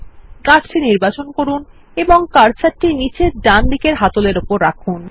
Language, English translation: Bengali, Select the tree and move the cursor over the bottom right handle